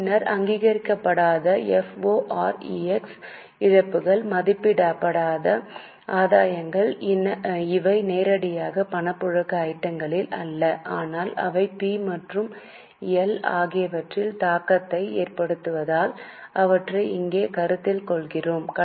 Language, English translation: Tamil, Then unrealized Forex losses, unrealized gains, these are not directly cash flow items, but since they have an impact on P&L, we are considering them here